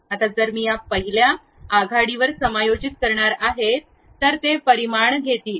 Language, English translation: Marathi, Now, if I am going to adjust at this first front it is going to take these dimensions